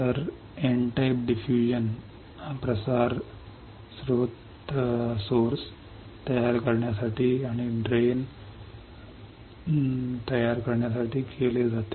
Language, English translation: Marathi, So, N type diffusion is done to form source and to form drain